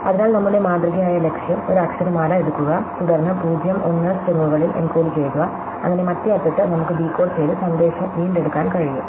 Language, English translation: Malayalam, So, our typical goal is to take an alphabet, and then encoded it over strings of 0 and 1, so that at the other end, we can decoded and recover the message